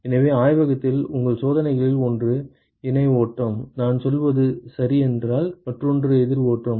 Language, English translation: Tamil, So, one of your experiments in the lab is of parallel flow, if I am right, the other one is a counter flow